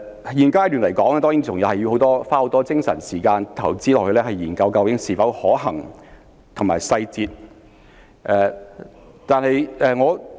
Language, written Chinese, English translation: Cantonese, 在現階段，當然還要花很多精神和時間，研究計劃是否可行及有關細節。, At this stage more effort and time have to be spent on studying the feasibility and details of the project